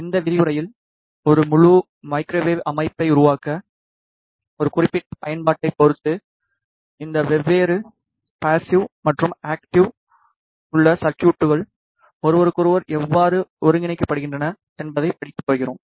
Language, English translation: Tamil, In this lecture we are going to study how these different passive and active circuits are integrated with each other depending on a particular application to form an entire Microwave System, let us begin